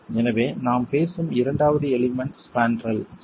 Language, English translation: Tamil, So, the second element that we are talking about is the spandrel itself